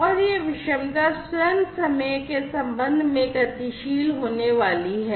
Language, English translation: Hindi, And this heterogeneity itself is going to be dynamic with respect to time